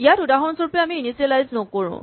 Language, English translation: Assamese, Here for instance, now we do not initialize